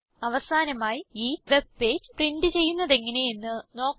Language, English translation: Malayalam, Finally, lets learn how to print this web page